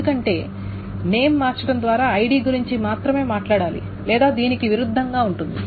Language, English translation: Telugu, Because just by changing the name, one only has to argue about the ID or vice versa